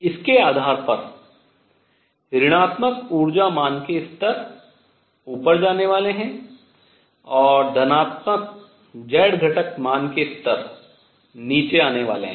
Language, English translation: Hindi, Now depending on what these values are, so negative energy value levels are going to move up and positive z component values are going to come down